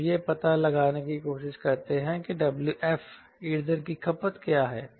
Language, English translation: Hindi, right, we are trying to find out what is the w f fuel consumption